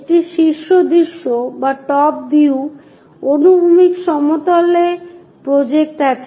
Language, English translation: Bengali, A top view projected on to horizontal plane